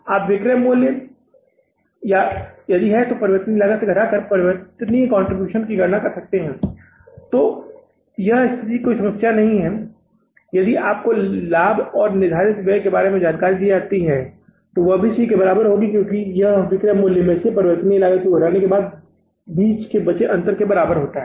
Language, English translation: Hindi, You can calculate the contribution simply by subtracting the variable cost from the selling price or if this situation is not given in any problem and if you are given the information about the profit and the fixed expenses that will also be equal to the C because that is equal to the difference of selling price minus variable cost